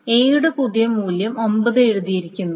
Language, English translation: Malayalam, So, A is written the new value of 9